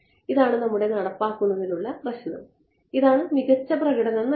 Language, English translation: Malayalam, This is our implementation issue this is what gives the best performance